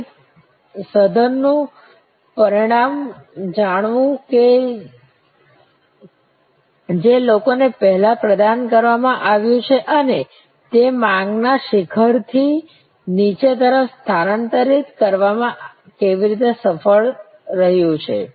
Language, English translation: Gujarati, Knowing the result of different intensive that have been provided people before and how it was successful in shifting demand from peak to trough